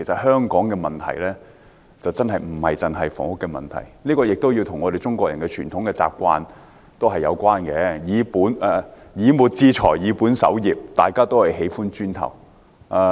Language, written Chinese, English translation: Cantonese, 香港的問題真的不單純是房屋問題，這與中國人的傳統有關，所謂"以末致財，以本守之"，市民都喜歡"磚頭"。, The problem of Hong Kong is not merely the problem of housing . This is related to the tradition of the Chinese . As the saying goes To gain a fortune by trading; to safeguard wealth by buying land and farming